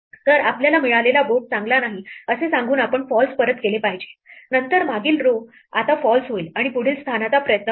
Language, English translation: Marathi, So, we should return false saying that the board that we got is not a good one, then the previous row will now get a false and we try the next position and so on